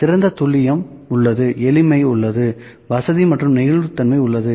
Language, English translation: Tamil, So, better accuracy is there, simplicity is there, convenience and flexibility is there